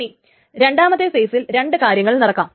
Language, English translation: Malayalam, Now there are two things that can happen in the second phase